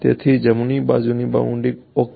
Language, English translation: Gujarati, So, right hand side boundary ok